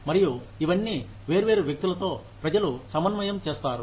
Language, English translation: Telugu, And all of these, people will be coordinating, with different people